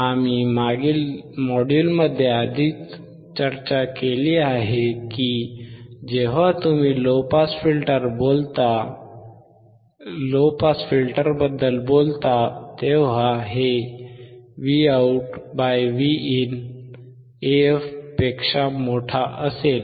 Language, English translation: Marathi, We have already discussed in the last module, that when you talk about low pass filter, this would be Vout / Vin would be greater than AF